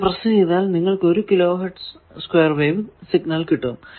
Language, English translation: Malayalam, So, you give oscilloscope had 1 kilo hertz square wave signal